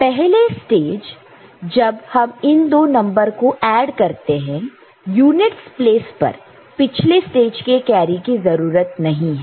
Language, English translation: Hindi, So, in the first stage when you are adding these numbers in unit’s place carry is not required from the previous stage